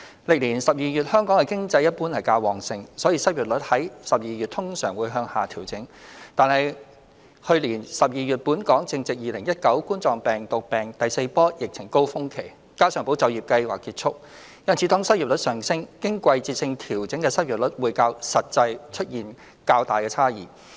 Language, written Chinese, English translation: Cantonese, 歷年12月香港的經濟一般較旺盛，所以失業率在12月通常會向下調整；但是去年12月本港正值2019冠狀病毒病第四波疫情高峰期，加上"保就業"計劃結束，因此當失業率上升，經季節性調整的失業率會較實際出現較大差異。, The unemployment rate usually went down in December over the years as Hong Kongs economy was generally more robust in the same month . However the fourth wave of the Coronavirus Disease 2019 epidemic was at its peak in Hong Kong in December last year and the Employment Support Scheme has ended . Therefore when the unemployment rate picked up the seasonally adjusted unemployment rate deviated more substantially from the actual situation